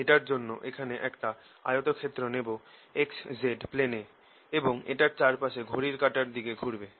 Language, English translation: Bengali, for this i'll take a rectangle in the x, z plane here and traverse it counter clockwise